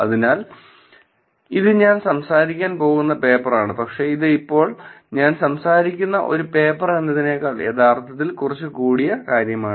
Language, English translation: Malayalam, So, this is the paper that with I am going to be talking about, but this actually more than a paper that the data that I will be talking about right now